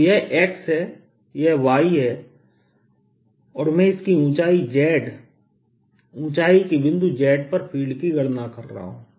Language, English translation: Hindi, so this is x, this is y and i am calculating field at some point z, at the height z of it